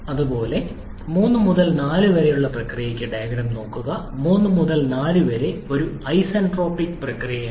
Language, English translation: Malayalam, Similarly, for process 3 to 4 look at the diagram, 3 to 4 is an isentropic process